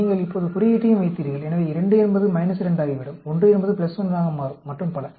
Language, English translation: Tamil, You put the sign also now; so 2 will become minus 2; 1 will become plus 1 and so on